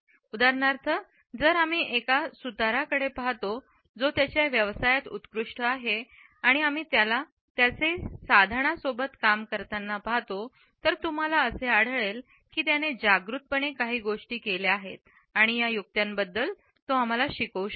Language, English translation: Marathi, For example, if we look at a carpenter who is excellent in his profession and we watch him working with his tools, if you would find that there are certain things which he may do in a conscious manner and can teach us about these tricks